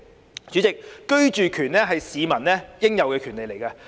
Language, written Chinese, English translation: Cantonese, 代理主席，居住權是市民應有的權利。, Deputy President the right to accommodation is a right to which members of the public are entitled